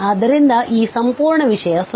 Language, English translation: Kannada, So, that whole thing is 0